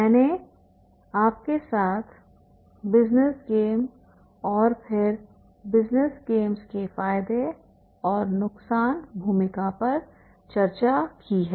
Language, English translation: Hindi, I have discussed with you the role of the business game and then business games the advantages and disadvantages